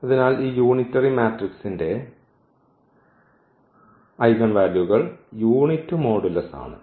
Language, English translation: Malayalam, So this unitary matrix the eigenvalues of the unitary matrix are of unit modulus